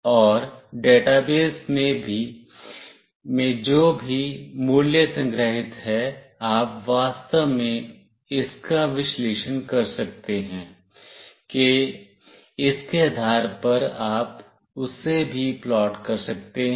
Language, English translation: Hindi, And whatever value is stored in the database, you can actually analyze it based on that you can plot that as well